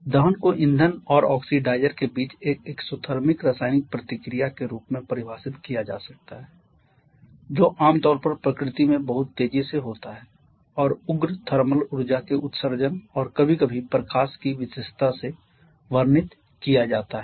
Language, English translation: Hindi, Combustion can be defined as an exothermic chemical reaction between fuel and oxidizer which is an early very rapid in nature and is generally meant is generally characterized by the emission of radicals and thermal energy and sometimes even light